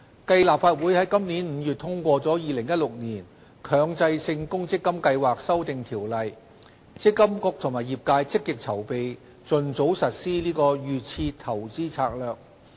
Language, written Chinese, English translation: Cantonese, 繼立法會於今年5月通過《2016年強制性公積金計劃條例》，積金局和業界積極籌備盡早實施"預設投資策略"。, Subsequent to the passage of the Mandatory Provident Fund Schemes Amendment Ordinance 2016 in the Legislative Council in May this year MPFA and the industry are actively preparing for the early implementation of DIS